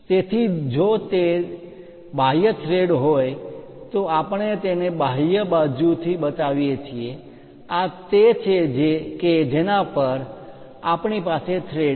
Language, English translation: Gujarati, So, if it is external threads we show it from the external side this is the thread on which we have it